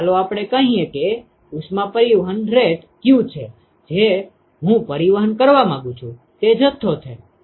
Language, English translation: Gujarati, Let us say the heat transport rate is q that is the amount of heat that I want to transport